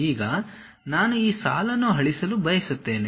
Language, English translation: Kannada, Now, I would like to delete this line